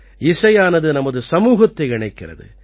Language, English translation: Tamil, Music also connects our society